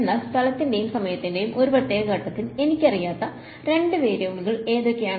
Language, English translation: Malayalam, But at a particular point in space and time what are the 2 variables that I do not know